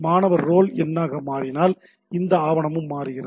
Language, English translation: Tamil, If the student roll number changes, this document also changes right